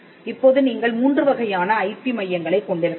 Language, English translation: Tamil, Now, let us look at the type of IP centres you can have